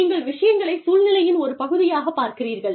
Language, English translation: Tamil, You look at things, within the context, that they are a part of